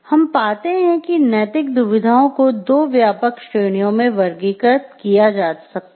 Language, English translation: Hindi, So, what we find is ethical dilemmas, what we find that ethical dilemmas can be classified into two broad categories